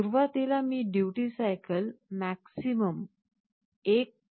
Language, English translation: Marathi, And initially I set the duty cycle to the maximum 1